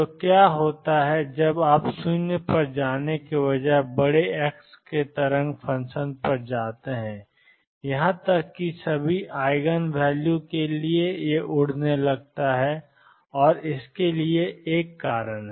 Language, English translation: Hindi, So, what happens is as you go to large x a wave function rather than going to 0 even for the right eigenvalue it starts blowing up and there is a reason for it